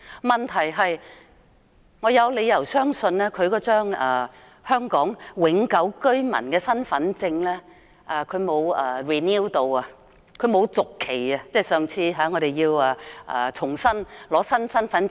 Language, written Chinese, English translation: Cantonese, 問題是，我有理由相信，上次更換新的香港永久居民身份證時，他沒有續期，所以他現在未必持有有效的香港身份證。, But I have reasons to believe that he did not renew his Hong Kong permanent identity card in the last replacement exercise . Therefore he may not have a valid Hong Kong identity card at the moment